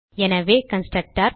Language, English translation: Tamil, And to create a constructor